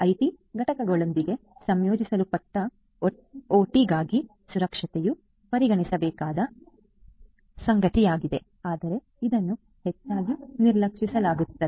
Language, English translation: Kannada, Security for OT integrated with IT components is something that is required to be considered, but is often ignored